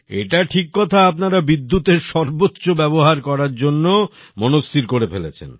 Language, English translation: Bengali, This is true, you have also made up your mind to make maximum use of electricity